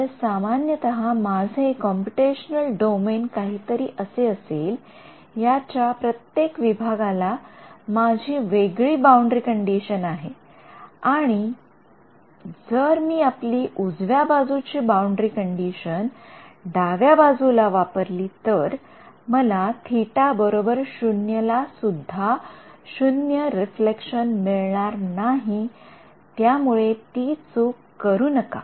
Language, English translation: Marathi, So, in general if my computational domain is something like this, I have different boundary conditions on each of these segments, if I use our right handed boundary condition on the left boundary, I will it is, I will not get even 0 reflection at theta is equal to 0